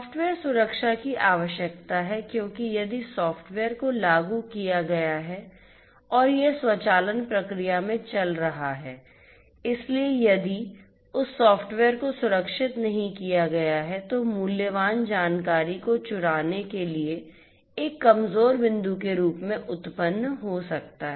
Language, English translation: Hindi, So, there is need for software security, because if the software that is implemented and is running in the automation process, if that software is not secured that can pose as a vulnerable point to steal valuable information